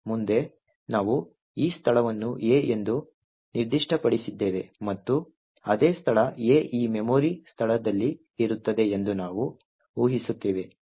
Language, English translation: Kannada, Further we assume that we have this location specified as A and the same location A is present in this memory location